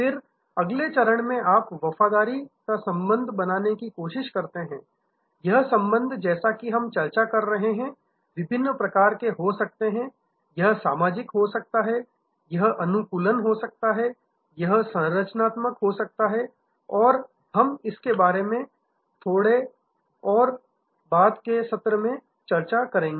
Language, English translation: Hindi, Then, in the next stage you try to create loyalty bonds, this bonds as we are discussing can be different types, it can be social, it can be customization, it can be structural and we will discuss it a little bit more later in this session